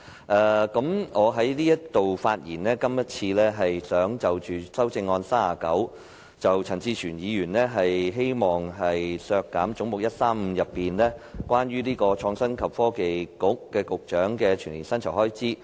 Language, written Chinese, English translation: Cantonese, 我今次的發言想談談編號39的修正案，陳志全議員希望削減總目135中，關於創新及科技局局長的全年薪酬預算開支。, I am going to speaking on Amendment No . 39 moved by Mr CHAN Chi - chuen which seeks to deduct the estimated expenditure on the annual emoluments for the Secretary for Innovation and Technology under head 135